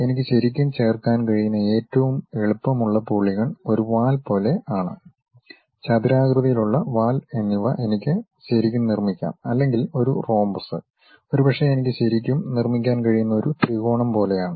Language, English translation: Malayalam, The easiest polygon what I can really fix is something like a tail, a rectangular tail I can put maybe a rhombus I can really construct or perhaps a triangle I can really construct